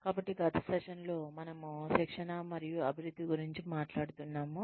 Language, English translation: Telugu, So, in the last session, we were talking about training and development